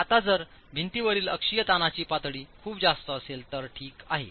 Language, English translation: Marathi, Now, if the level of axial stress in the wall is very high, okay